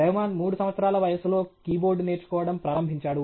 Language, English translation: Telugu, Rahman started learning key board at the age of 3 right